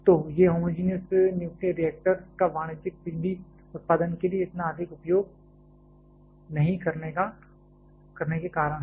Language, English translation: Hindi, So, these are the reasons of not using homogenous nuclear reactors that much for commercial power generation